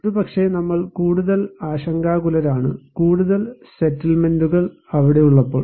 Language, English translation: Malayalam, Maybe, we are more concerned, when there are more settlements are there